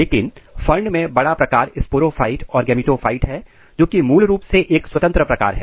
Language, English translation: Hindi, But in fern onwards the major component, the large form is the sporophyte and gametophyte is basically a small independent form